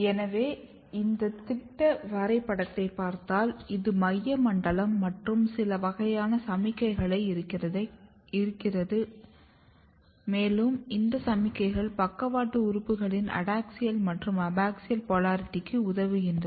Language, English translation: Tamil, So, if you look this schematic diagram, this is the top view you have a central zone and some kind of signals are coming from here and these signals are helping and defining adaxial versus abaxial polarity in the lateral organs